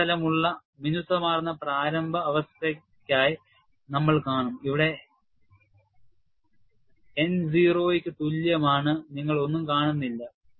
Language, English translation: Malayalam, We will see for the initial state, where you have the surface is smooth, where N equal to 0, you hardly see anything; you just see only one dot